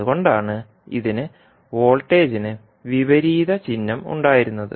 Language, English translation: Malayalam, That is why it was having the opposite sign for voltage